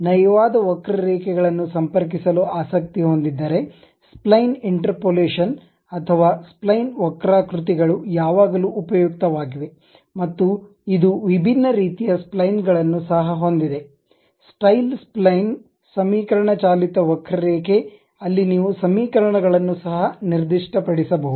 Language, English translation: Kannada, If one is interested in connecting smooth curves, then spline interpolation or spline curves are always be useful and it has different kind of splines also, style spline, equation driven curve where you can specify the equations also